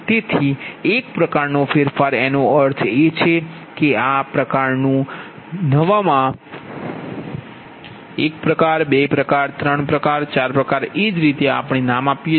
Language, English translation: Gujarati, so type one modification means that what is some type one, type two, type three, type four, this way we name it